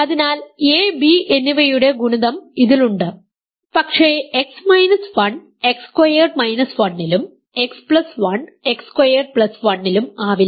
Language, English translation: Malayalam, So, the product of a and b is in this, but X minus 1 cannot be in X squared minus 1, X plus 1 cannot be in X squared plus 1 X squared minus 1